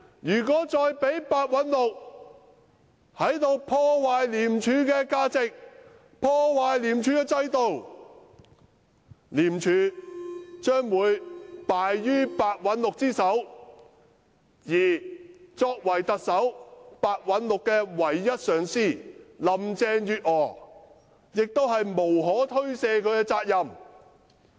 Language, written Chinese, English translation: Cantonese, 要是繼續讓白韞六破壞廉署的價值和制度的話，則廉署將敗於白韞六之手，而特首林鄭月娥作為白韞六唯一的頂頭上司，實在責無旁貸。, If we continue to allow ICACs values and systems to be harmed by Simon PEH it will eventually be destroyed by him . And so PEHs only immediate supervisor Chief Executive Carrie LAM CHENG Yuet - ngor is duty - bound to bring the situation back on track